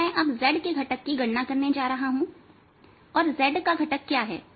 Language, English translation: Hindi, so all i am going to do is calculate the z component and what is the z component